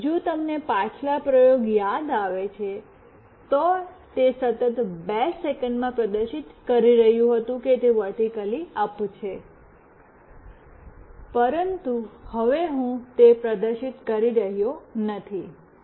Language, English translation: Gujarati, Now, if you recall in the previous experiment, it was continuously displaying that it is vertically up in 2 seconds, but now I am not displaying that